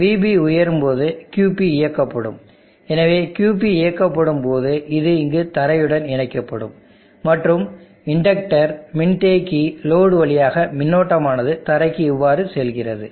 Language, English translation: Tamil, So operation sample when VB goes high QP turns on, so when QP turns on this is connected to the ground here and then there is a flow of current through the inductor, capacitor load, and then through this into this ground like this